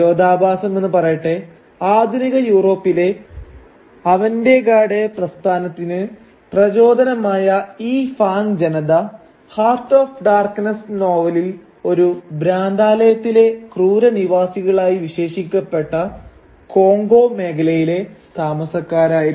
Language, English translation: Malayalam, And ironically these Fang people who inspired the most avant garde art movement of modern Europe were residents of the very Congo region whose people are described in the novel Heart of Darkness as brutish inhabitants of a madhouse